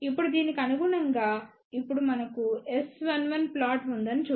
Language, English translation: Telugu, Now corresponding to this now let us see we have S 1 1 plot